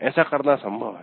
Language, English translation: Hindi, That's also possible